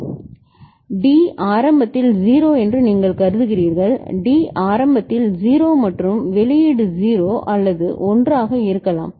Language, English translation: Tamil, So, you consider that D is initially 0; D is initially 0 and the output could be 0 or 1